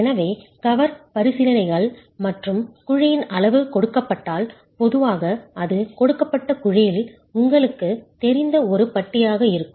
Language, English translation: Tamil, So from cover considerations and and given the size of the cavity, typically it is going to be one bar in a given cavity